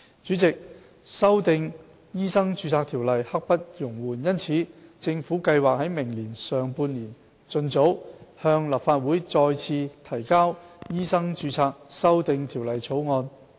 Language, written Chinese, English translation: Cantonese, 主席，修訂《醫生註冊條例》刻不容緩，因此，政府計劃於明年上半年盡早向立法會再次提交《醫生註冊條例草案》。, The Government plans to re - introduce the Medical Registration Amendment Bill into the Legislative Council as soon as possible in the first half of next year